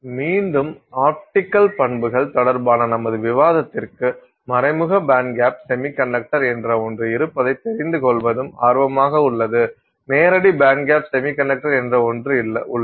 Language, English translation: Tamil, For our discussion, again with respect to the optical properties, it is also of interest to know that there is something called an indirect band gap semiconductor and there is something called a direct band gap semiconductor